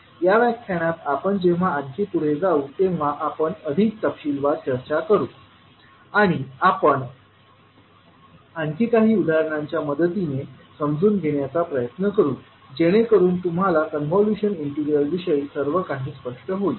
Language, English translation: Marathi, So we will discuss more in detail when we will proceed more in this particular lecture and we will try to understand with help of few more examples so that you are clear about the meaning of convolution integral